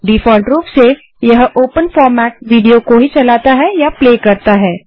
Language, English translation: Hindi, By default, it plays the open format video files only